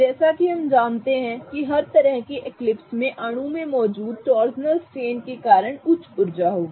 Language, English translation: Hindi, As we know that every kind of eclipsed confirmation will have a higher energy because of the torsional strain present in the molecule